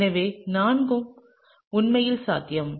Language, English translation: Tamil, So, all four are actually possible